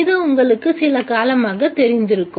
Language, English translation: Tamil, This you are familiar for quite some time